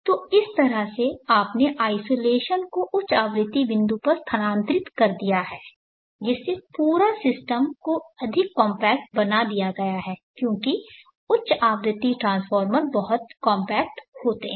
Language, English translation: Hindi, So in this way you have shifted the isolation to the high frequency point thereby, making the whole system more compact, because the high frequency transformers are very compact